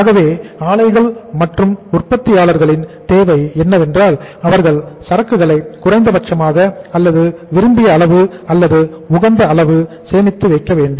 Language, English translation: Tamil, So what is the need of the plants or the manufacturers that they have to store the inventory the minimum or the desired or the optimum level of inventory they will have to store